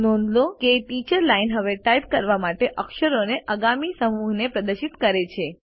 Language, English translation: Gujarati, Notice, that the Teachers Line now displays the next set of characters to type